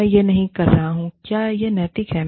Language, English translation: Hindi, I am not saying, it is ethical